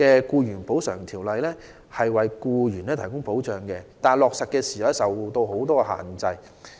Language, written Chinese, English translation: Cantonese, 雖然現行《條例》為僱員提供保障，但在落實的過程中卻受到諸多限制。, While the existing Ordinance has offered protection to employees it has come under many constraints in the course of implementation